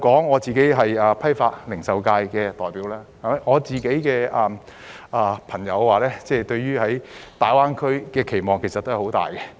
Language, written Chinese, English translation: Cantonese, 我是批發及零售界的代表，我的朋友對於大灣區的期望很大。, I am the representative of the wholesale and retail sector and my friends have great expectations of GBA